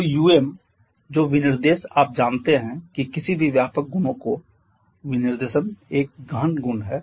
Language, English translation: Hindi, So um, the specification that is you know that the specification of any extensive property itself is an intensive property